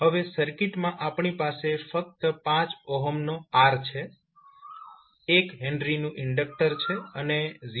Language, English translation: Gujarati, Now in the circuit we will have only R of 5 ohm, 1 henry inductor and 0